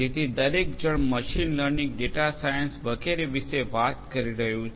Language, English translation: Gujarati, So, everybody is talking about machine learning, data science and so on